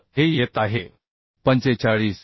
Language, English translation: Marathi, 25 so this is coming 45